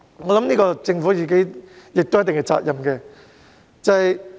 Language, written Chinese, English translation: Cantonese, 我認為政府應負一定責任。, To a certain extent I think the Government should be held responsible